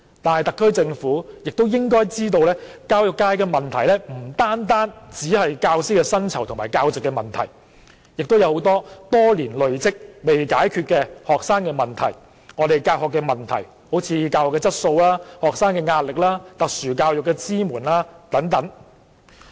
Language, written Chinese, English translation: Cantonese, 但特區政府應該知道，教育界的問題不單只是教師的薪酬和教席，很多多年累積的學生問題和教學問題仍有待解決，如教學質素、學生壓力、特殊教育的支援等。, But the SAR Government should know that teachers pay and the number of teaching posts are not the only problems in the education sector; many issues concerning students and teaching such as teaching quality pressure faced by students and support to special education have been piling up for years pending solution